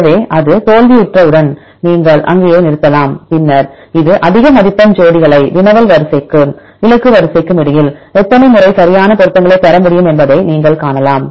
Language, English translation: Tamil, So, then once it fails then you can stop there and then you can see this will give you the high scoring pairs how many times you can get the exact matches between the query sequence and the target sequence